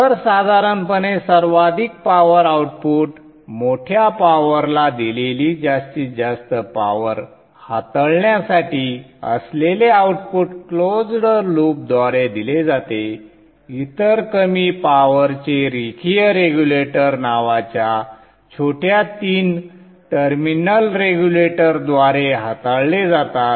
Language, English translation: Marathi, So normally the highest power output that is supposed to handle the maximum power the large power is done is given by close loop the other low power ones are handled by small three terminal regulators called linear regulators